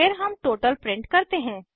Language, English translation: Hindi, Then we print a total